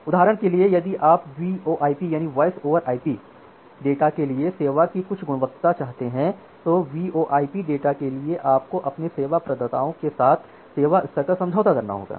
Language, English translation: Hindi, Say for example, if you want certain quality of service for the VoIP data, for the VoIP data, you have to go for a service level agreement with your service providers